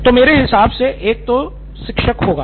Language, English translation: Hindi, So, one would be teacher